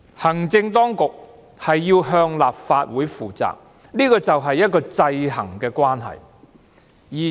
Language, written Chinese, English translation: Cantonese, 行政當局要向立法會負責，就是這種制衡的關係。, The fact that the executive is accountable to the Legislative Council demonstrates the balance of powers between them